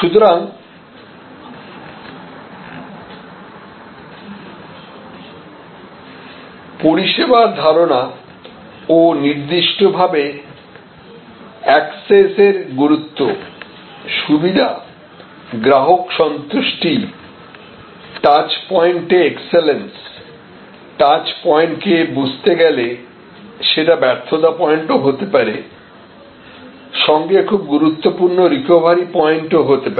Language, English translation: Bengali, So, the service concept and particularly the importance of access, convenience, customer delight, the excellence at touch points, understanding the touch points can also be failure points as well as can be very important recovery points